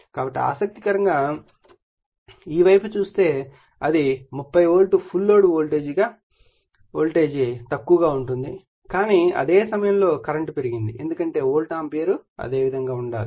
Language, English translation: Telugu, So, interestingly if you see this side it is your 30 volt right full load voltage has low, but at the same time if current has increased because volt ampere has to remain your same